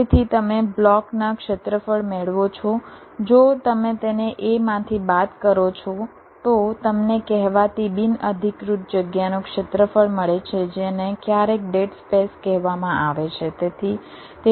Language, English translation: Gujarati, if you subtract that from a, you get the area of the, of the so called unoccupied space, which is sometimes called dead space